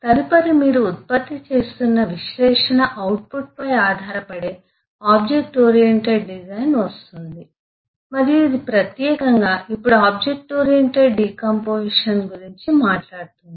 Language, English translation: Telugu, next comes the object oriented design, which builds up on the analysis output that you are generating and eh its specifically now talks of object oriented decomposition